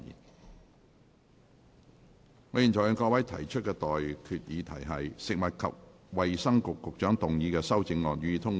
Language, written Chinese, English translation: Cantonese, 我現在向各位提出的待決議題是：食物及衞生局局長動議的修正案，予以通過。, I now put the question to you and that is That the amendments moved by the Secretary for Food and Health be passed